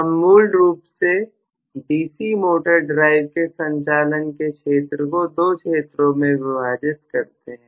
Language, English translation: Hindi, So, we basically divide the region of operation of the D C motor drive into 2 regions